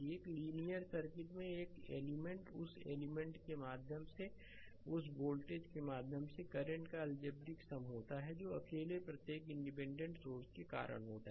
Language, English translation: Hindi, An element in a linear circuit is the algebraic sum of the current through or voltage across that element due to each independent source acting alone right